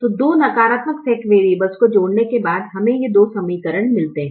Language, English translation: Hindi, so after the addition of the two slack variables negative slack variables we get these two equations